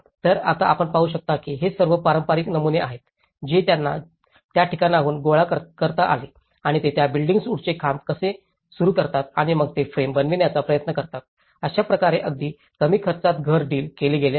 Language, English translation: Marathi, So, what you can see is now these are all some of the traditional patterns, which they could able to gather from that location and how they just start that timber poles and then they try to make the frame and that is how a small low cost house has been dealt